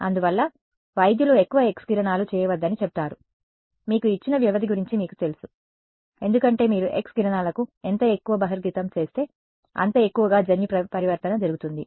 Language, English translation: Telugu, So, that is why doctors will say do not get too many X rays done you know you know given period of time, because the more you expose to X rays the more the genetic mutation can happen